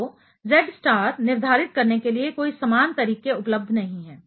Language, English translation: Hindi, So, there are no uniform ways available to determine Z star